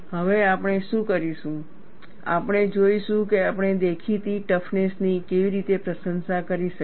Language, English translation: Gujarati, Now, what we will do is, we will look at how we can appreciate the apparent toughness